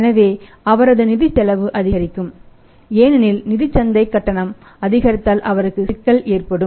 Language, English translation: Tamil, So, his financial cost increases that is financial cost increases because of the increased financial market tariff then he he is in trouble